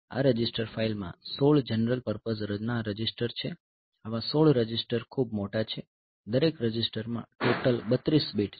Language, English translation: Gujarati, So, this register file it has got 16 general purpose registers whereas, 16 such registers so, that that is quite big so, each register is 32 bit in all that